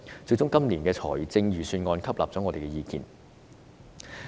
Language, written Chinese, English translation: Cantonese, 最終今年的預算案採納了我們的意見。, Finally the Budget this year adopts our views